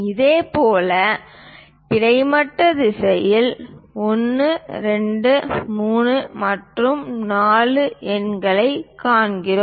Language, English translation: Tamil, Similarly, in the horizontal direction we see numerals 1, 2, 3 and 4